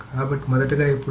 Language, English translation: Telugu, So, first of all, okay